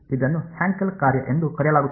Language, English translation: Kannada, It is called a Hankel function